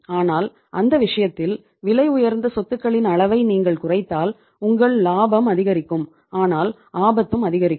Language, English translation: Tamil, But if you decrease the say uh the extent of costly assets in that case your profit will increase but the risk will also increase